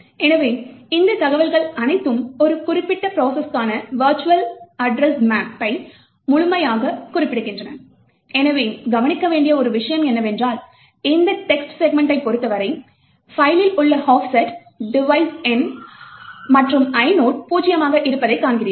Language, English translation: Tamil, So, we have all of this information completely specifying the virtual address map for a particular process, so one thing to note is that for this text segment, we see that the offset in the file, device number and the inode is zero